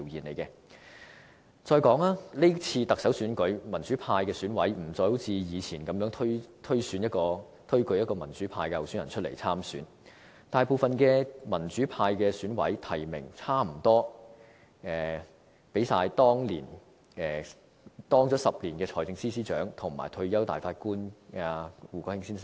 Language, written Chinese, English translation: Cantonese, 再者，是次行政長官選舉，民主派的選委不再如過去般，推舉民主派候選人出來參選，大部分民主派選委提名擔任了約10年財政司司長的曾俊華先生，以及退休大法官胡國興先生。, Furthermore in this Chief Executive Election democratic EC members no longer nominate candidates from the democratic camp to stand for the election . Instead the majority of these members have nominated John TSANG who had been the Financial Secretary for about 10 years and retired judge Mr WOO Kwok - hing